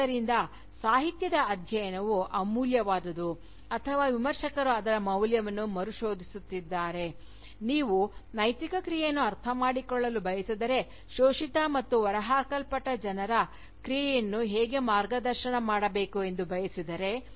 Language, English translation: Kannada, ” So, the study of Literature, remains invaluable, or Critics are rediscovering its value, if you will, to understand Ethical action, to understand, how to guide the action, of exploited and dispossessed people